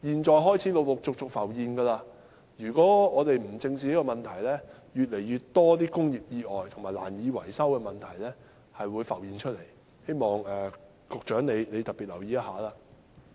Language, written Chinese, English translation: Cantonese, 這問題已陸續浮現，如果我們不加以正視，便會出現越來越多工業意外及樓宇難以維修的情況，希望局長特別留意。, This problem has gradually emerged . If we do not address it squarely more and more industrial accidents and difficulties in building repairs and maintenance will arise . I hope the Secretary will pay particular attention to it